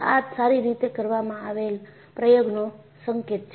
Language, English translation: Gujarati, This is an indication of an experiment well performed